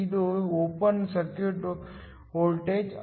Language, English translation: Kannada, This is the open circuit voltage